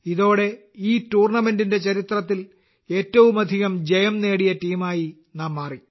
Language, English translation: Malayalam, With that, we have also become the team with the most wins in the history of this tournament